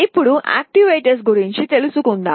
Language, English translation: Telugu, Now, let us come to actuators